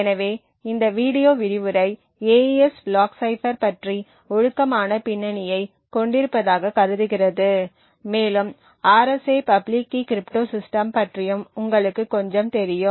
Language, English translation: Tamil, So this video lecture assumes that you have decent background about the AES block cipher and you also know a little bit about the RSA public key cryptosystem